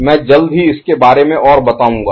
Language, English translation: Hindi, I shall tell more about it shortly